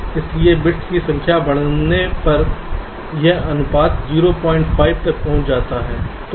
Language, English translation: Hindi, so as the number of bits increases, this ratio approaches point five